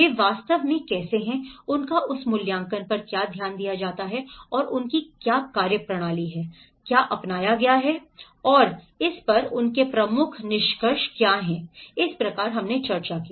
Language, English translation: Hindi, How they have actually, what is their focus of that assessment and what methodology they have adopted and what are their key findings on it so this is how we discussed